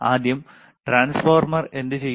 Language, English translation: Malayalam, First, transformer what it will transformer do